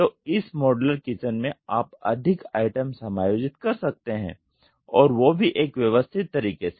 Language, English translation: Hindi, So, with this modular kitchen you can accommodate more items and in a more systematic manner